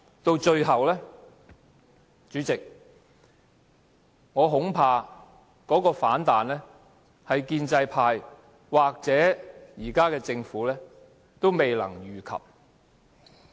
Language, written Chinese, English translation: Cantonese, 到最後，主席，我恐怕這種反彈是建制派或現在的政府也未能預及的。, Lastly President I am afraid the intensity of the negative reaction will surprise the pro - establishment or the present Government